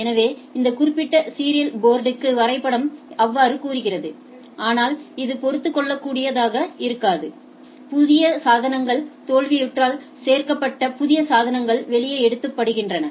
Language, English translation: Tamil, So, it says that map so and so to this particular serial port, but this is may not be adaptable right, to failures new devices added new devices taken out